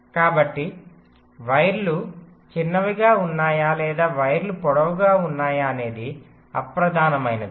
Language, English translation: Telugu, so it is immaterial whether the wires are short or wires are longer